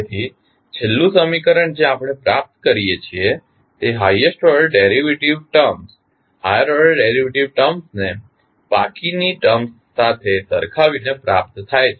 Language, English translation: Gujarati, So, the last equation which we obtain is received by equating the highest order derivatives terms to the rest of the term